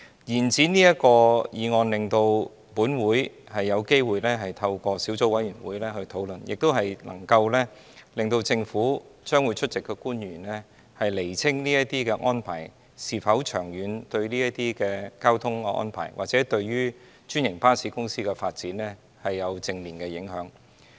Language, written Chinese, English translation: Cantonese, 延展審議這項議案的期限，令本會有機會透過小組委員會進行討論，亦能夠讓出席的政府官員釐清這些安排是否長遠對交通或者對專營巴士的發展有正面影響。, The extension of scrutiny period under this motion will afford this Council an opportunity to undertake discussion through the Subcommittee and enable the government officials in attendance to clarify whether such arrangements will have a positive impact on the traffic or the development of franchised buses in the long run